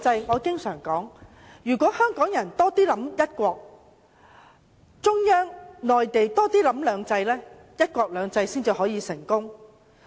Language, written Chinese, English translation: Cantonese, 我經常說，香港人要多考慮"一國"，中央要多考慮"兩制"，"一國兩制"才能成功。, As I often say the implementation of one country two systems can only be successful if Hong Kong people give more consideration to one country while the Central Authorities give more consideration to two systems